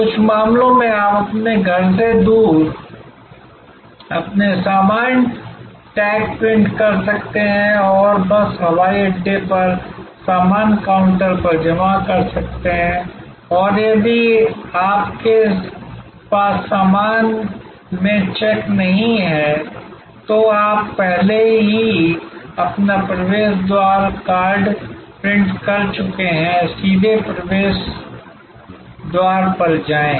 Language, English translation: Hindi, In some cases, you can print out your luggage tags remotely from your home and just deposited at the baggage counter at the airport and if you do not have check in baggage, you have already printed your boarding card, use straight go to the boarding gate